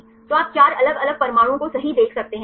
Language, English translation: Hindi, So, you can see the four different atoms right